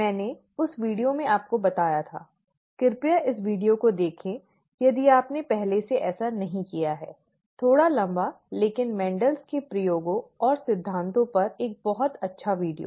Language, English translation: Hindi, I had pointed out I had pointed this video to you, please take a look look at this video, if you have not already done so; slightly longish, but a very nice video on Mendel’s experiments and principles